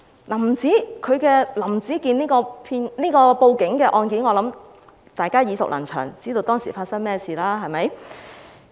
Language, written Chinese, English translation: Cantonese, 我想大家都對"林子健報警案"耳熟能詳，知道當時發生了甚麼事。, I believe all of you must be very familiar with Howard LAMs case and know fully well what happened back then